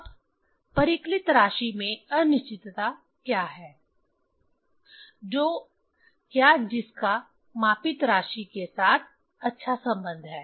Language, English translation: Hindi, Now, what is the uncertainty in the calculated quantity which is or which has well relation with the measured quantity